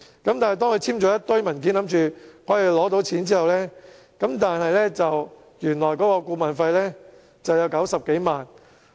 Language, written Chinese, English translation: Cantonese, 可是，當他簽署了一堆文件，以為可以獲得貸款後，發現原來顧問費為90多萬元。, However after signing a pile of documents thinking that he could receive the loan he found out that the consultancy fees amounted to over 900,000